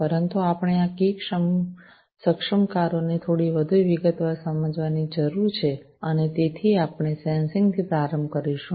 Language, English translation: Gujarati, But we need to understand these key enablers, in little bit more detail and so we will start with the Sensing